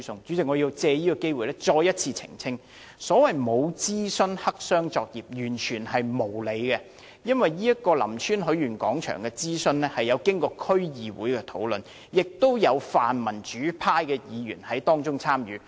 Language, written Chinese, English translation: Cantonese, 主席，我要藉此機會再次澄清，所謂沒有諮詢、黑箱作業，完全是無理的指控，因為林村許願廣場的諮詢工作曾經過區議會的討論，亦有泛民主派的區議員參與其中。, President I need to take this opportunity to make a clarification again . The so - called black - box operation with no consultation is a totally unfounded accusation since the consultation exercise for the Lam Tsuen Wishing Square was discussed by the DC with participation by DC members of the pan - democratic camp